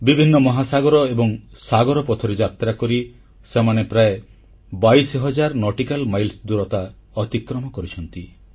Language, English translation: Odia, They traversed a multitude of oceans, many a sea, over a distance of almost twenty two thousand nautical miles